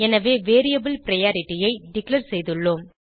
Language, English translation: Tamil, So we have declared the variable priority